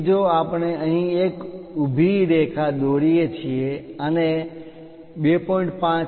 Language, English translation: Gujarati, So, if we are drawing a vertical line here and a unit of 2